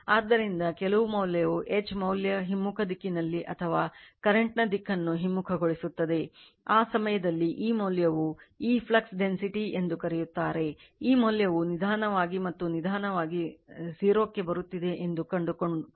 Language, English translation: Kannada, So, some value of will be there in the reverse direction that H value or you are reversing the direction of the current, at that time you will find that this value right your what you call this flux density right, this value you are slowly and slowly coming to 0